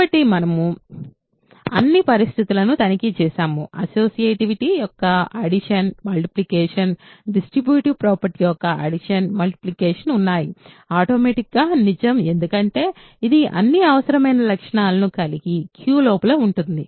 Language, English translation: Telugu, So, we have checked all the condition; remember associativity of addition, multiplication, distributive property of addition, multiplication are automatically true because this is sitting inside Q which has all the required properties